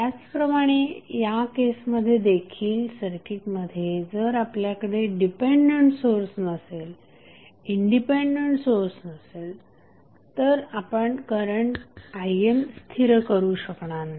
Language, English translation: Marathi, So, similarly in this case also if you do not have dependent source, you do not have any independent source in the circuit you cannot stabilized the value of current I N